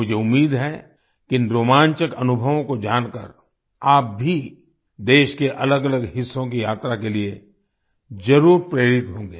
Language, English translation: Hindi, I hope that after coming to know of these exciting experiences, you too will definitely be inspired to travel to different parts of the country